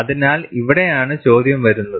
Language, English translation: Malayalam, So, this is where the question comes